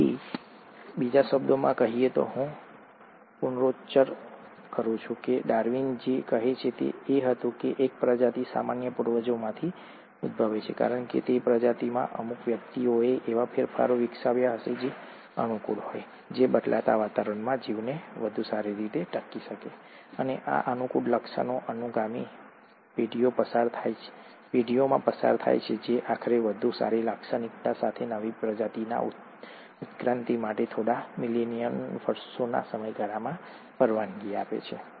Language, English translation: Gujarati, So, in other words, let me reiterate, what Darwin said was that a species arises from a common ancestors because certain individuals in that species would have developed modifications which are favourable, which allow that organism to survive better in the changing environment, and these favourable traits get passed on to subsequent generations, allowing eventually, over a time scale of a few million years for evolution of a newer species with better characteristics